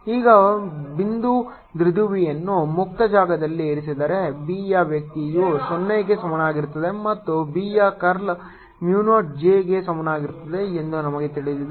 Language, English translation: Kannada, now, in case of a point dipole placed in free space, we know divergence of b equal to zero and curl of b is equal to mu zero j